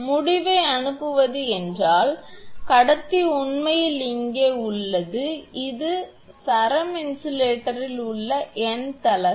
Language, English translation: Tamil, Sending end means the conductor is here actually and this is your n th, unit in the string insulator